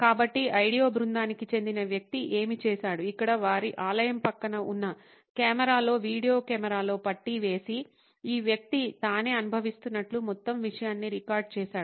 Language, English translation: Telugu, So, what one of the person from the ideo team did was strap on a video camera a camera right next to their temple here and recorded the whole thing as if this person is going through